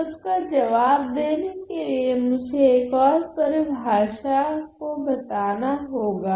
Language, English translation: Hindi, So, to answer that question I have to introduce another definition